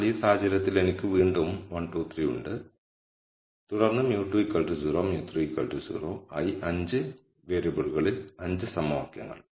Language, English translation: Malayalam, So, in which case again I have 1 2 3 and then mu 2 equal to 0 mu 3 equal to 0 as 5 equations in 5 variables